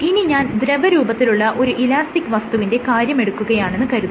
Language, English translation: Malayalam, So now imagine if I were to consider an elastic entity as a as a liquid